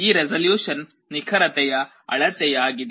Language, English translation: Kannada, This resolution is a measure of accuracy